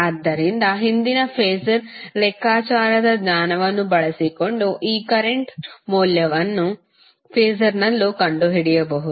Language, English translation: Kannada, So, using your previous knowledge of phasor calculation you can find out the value of these currents in terms of phasor also